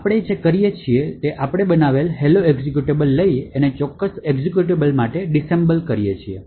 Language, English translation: Gujarati, So, what we do is we take the hello executable that we have created, and we could actually create the disassemble for that particular executable